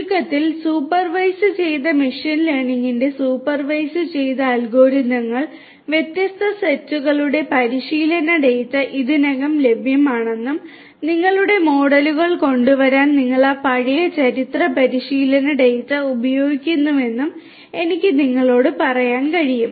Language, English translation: Malayalam, In supervised in a nutshell I can tell you that supervised algorithms of machine learning are the ones where there is some kind of training data of different sets already available and you use that past historical training data in order to come up with your models